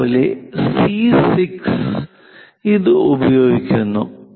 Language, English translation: Malayalam, Similarly, C 6 use this